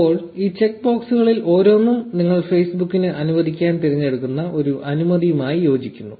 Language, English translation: Malayalam, Now each of these check boxes corresponds to a permission that you may choose to grant to Facebook